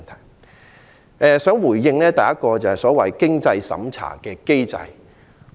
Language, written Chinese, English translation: Cantonese, 首先，我想回應所謂"經濟審查"的機制。, First I would like to respond to the so - called means test mechanism